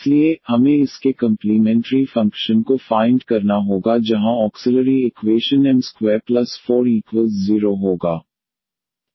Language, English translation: Hindi, So, we have to find the complementary functions of this where the auxiliary equation will be m square here plus 4 is equal to 0